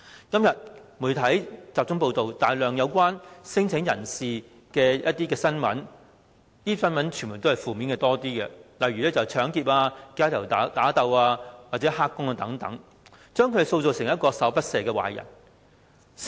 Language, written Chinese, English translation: Cantonese, 今天，媒體大量報道與聲請者有關的新聞，當中以負面居多，例如搶劫、街頭打鬥或"黑工"等，將他們塑造成十惡不赦的壞人。, Nowadays the media are widely covering news relating to the claimants . Most of the reports are negative for example robberies street fights or illegal workers portraying them as heinous villains